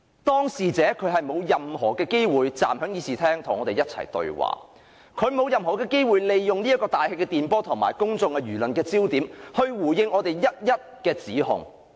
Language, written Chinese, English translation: Cantonese, 當事者沒有任何機會站在會議廳與我們對話，亦沒有任何機會利用大氣電波及公眾輿論來回應我們的各項指控。, The person in question is not given any chance to have a dialogue with us in the Chamber nor is he given any chance to respond through the airwaves and public opinions to various accusations made by us